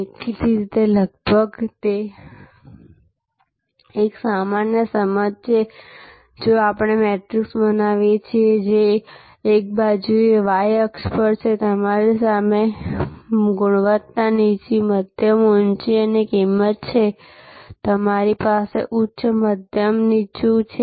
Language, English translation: Gujarati, Obviously, this is almost a common sense that if we create a matrix, which on one side; that is on the y axis we have quality, low, medium, high and price, we have high, medium low